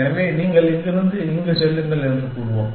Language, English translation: Tamil, So, let us say you go from here to here